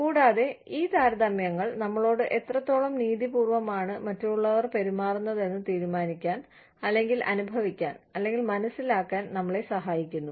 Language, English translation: Malayalam, And, these comparisons, help us decide, or feel, or understand, how fairly, we are being treated